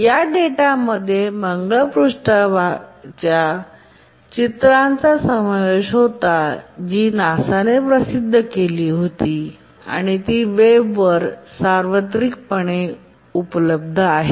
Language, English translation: Marathi, And these data included pictures of the Mars surface and which were released by NASA and were publicly available on the web